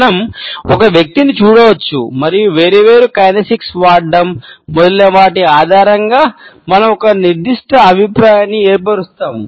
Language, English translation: Telugu, We could look at a person and on the basis of different kinesics use etcetera, we could form a particular opinion